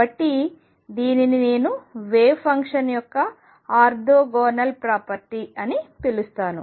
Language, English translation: Telugu, So, this is what I am going to call the orthogonal property of wave function